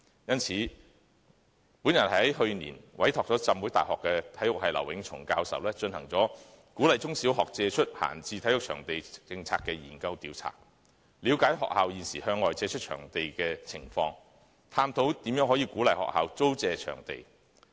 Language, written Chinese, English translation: Cantonese, 因此，我在去年委託浸會大學體育系劉永松教授進行"鼓勵中小學借出閒置體育場地政策之研究調查"，以了解學校現時向外借出場地的情況，探討如何可以鼓勵學校租借場地。, This explains why I commissioned Prof Patrick LAU of the Department of Physical Education of the Hong Kong Baptist University last year to undertake a Policy study on the opening of school sports facilities for community use to find out more about the current situation of schools leasing out their venues and explore ways to encourage them to lease out their venues